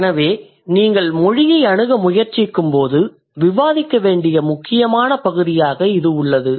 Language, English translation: Tamil, So that's also an important area to discuss when you try to approach language